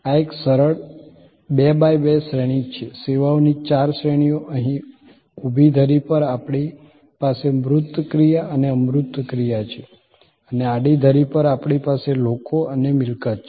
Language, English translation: Gujarati, This is a simple 2 by 2 matrix, four categories of services, on the vertical axis here we have tangible action and intangible action and on the horizontal axis, we have people and possession